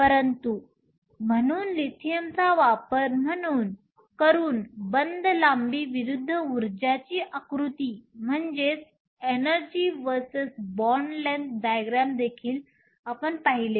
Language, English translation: Marathi, We also saw an example of energy versus a bond length diagram using lithium as the example